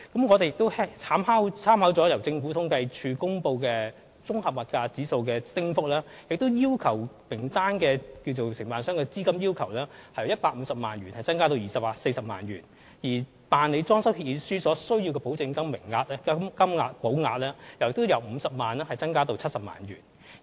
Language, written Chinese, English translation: Cantonese, 我們亦參考了由政府統計處公布的綜合消費物價指數的升幅，將參考名單內承辦商的資金要求由150萬元增加至240萬元，而所須的銀行保證書的金額亦由50萬元增加至70萬元。, Taking into account the increase in the Composite Consumer Price Index released by the Census and Statistics Department we also increased the capital requirement for DCs to be included in the Reference List from 1.5 million to 2.4 million and the amount of surety bond from 500,000 to 700,000